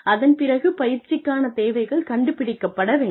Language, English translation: Tamil, And then, the training needs, need to be figured out